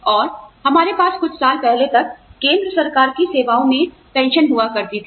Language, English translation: Hindi, And, we have, we used to have, pension in the central government services, till a few years ago